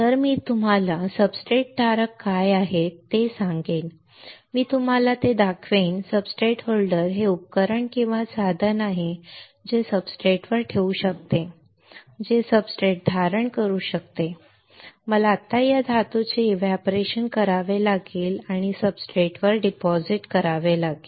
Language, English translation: Marathi, So, I will tell you what are substrate holders I will show it to you substrate holder is the is the equipment or a tool that can hold the substrate, that can hold the substrate right now I have to evaporate this metal right and deposit on these substrates right